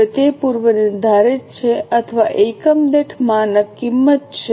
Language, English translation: Gujarati, Now, it is a predetermined or a standard cost per unit